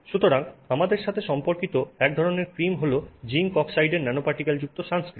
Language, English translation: Bengali, Also related to us is the sunscreen with nanoparticles of zinc oxide